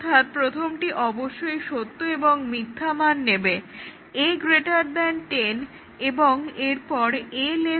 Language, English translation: Bengali, So, the first one must take true and false value; a greater than 10 and then a less than 10